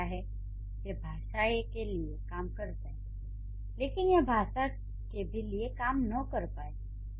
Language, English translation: Hindi, It might work for language A but it may not work for language B